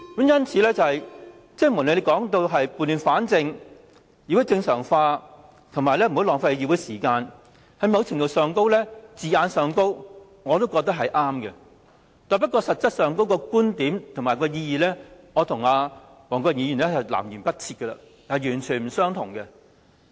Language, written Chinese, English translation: Cantonese, 因此，無論他說的理由是撥亂反正、議會正常化或不要浪費議會時間，我覺得某程度上字眼是正確的，但實際上，我跟黃國健議員的觀點南轅北轍，完全不相同。, Hence he may justify himself that he wants to set things right restore the normal state of this Council or save Council business time and to a certain extent he is literally correct . But the reality is that my view is completely distant or different from that of Mr WONG Kwok - kin